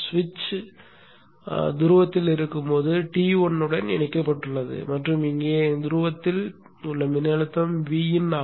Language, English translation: Tamil, When the switch is on the pole is connected to T1 and the voltage at the pole here is V in